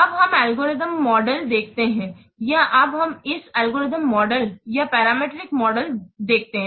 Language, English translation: Hindi, Now this let's see the algorithm models or now let us see this this algorithm models or parameter models